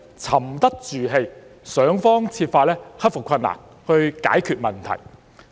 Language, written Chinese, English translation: Cantonese, 沉得住氣，想方設法克服困難，解決問題。, We have to remain calm then find ways to overcome difficulties and to resolve problems